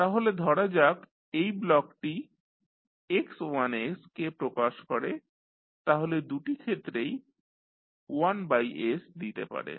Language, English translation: Bengali, So, say if this block is representing x1s so 1 by s you can put in both of the cases